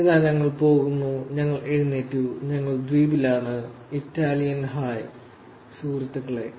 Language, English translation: Malayalam, Here we go, we are up, we are in island, Italian hey guys